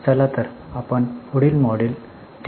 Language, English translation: Marathi, Let us start our next module 3